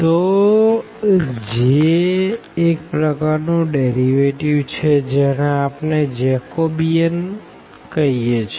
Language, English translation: Gujarati, So, the way this J is again kind of derivative which we call Jacobian